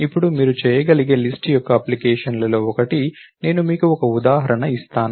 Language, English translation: Telugu, Now, one of the applications of list that you can do, let me I give you an example